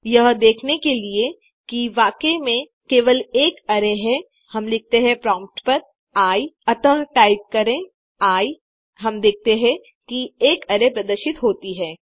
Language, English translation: Hindi, To see that I is really, just an array, we say, I, at the prompt,so type I We see that an array is displayed